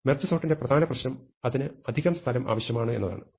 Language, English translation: Malayalam, The main problem with merge sort is that it requires extra space